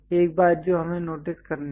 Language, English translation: Hindi, One thing what we have to notice